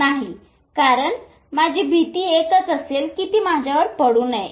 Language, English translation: Marathi, No because my only fear will be this should not fall on me